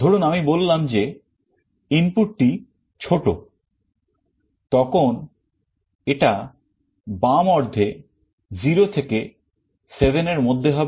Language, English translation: Bengali, Suppose I say that the input is smaller; then it will be on the left half 0 to 7